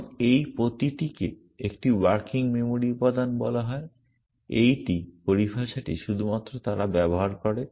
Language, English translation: Bengali, And each of this is called a working memory element, these is just the terminology that they use